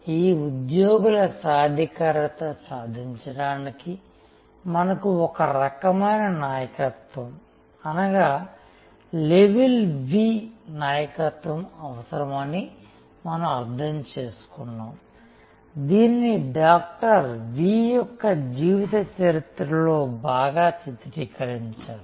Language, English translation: Telugu, And we understood that to achieve this employee empowerment, we need a kind of leadership which we call the level five leadership which is so well depicted in the biography of Dr